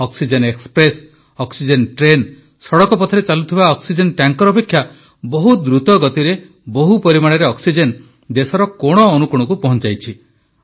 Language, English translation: Odia, Oxygen Express, oxygen rail has transported larger quantities of oxygen to all corners of the country, faster than oxygen tankers travelling by road